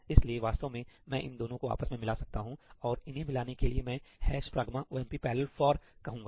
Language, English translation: Hindi, So, I can actually combine them both together, and the way to combine them is I say ‘hash pragma omp parallel for’